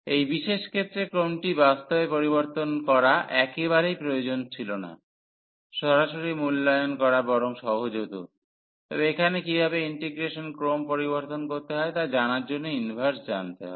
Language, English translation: Bengali, So, in this particular case it was absolutely not necessary to change the order in fact, the direct evaluation would have been easier; but, here the inverse to learn how to change the order of integration